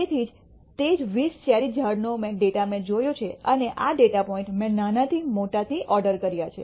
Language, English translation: Gujarati, So, same 20 cherry trees data I have looked at, this data point I have ordered from the smallest to the largest